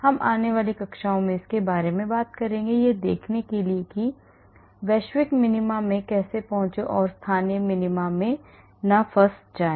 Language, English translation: Hindi, We will talk about it in the forthcoming classes to see how to arrive at the global minima and not get stuck in the local minima